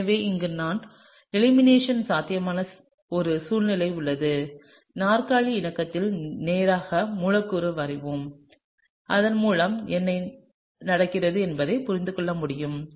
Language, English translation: Tamil, So, here we have a situation where we have elimination possible; let’s straight away draw the molecule in the chair conformation, so that we can understand what is going on